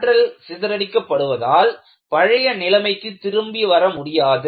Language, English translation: Tamil, Energy is dissipated and you cannot come back to the original situation at all